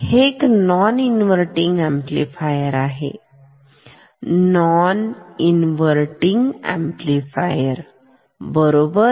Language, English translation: Marathi, This is non inverting amplifier non inverting amplifier right